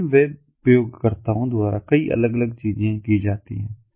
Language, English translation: Hindi, many different things are performed by different web users at present